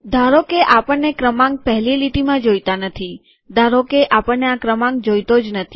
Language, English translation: Gujarati, Supposing we dont want the number in the first line, suppose we dont want this number